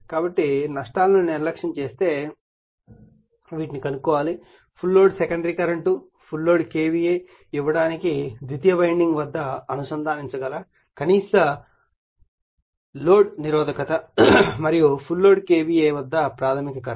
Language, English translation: Telugu, So, neglecting losses determine, a the full load secondary current, b, the minimum load resistance which can be connected across the secondary winding to give full load KVA and c, is the primary current at full load KVA